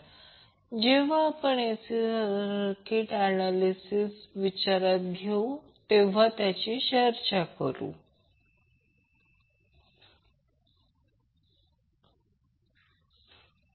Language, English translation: Marathi, We will discuss when we consider the AC circuit for the analysis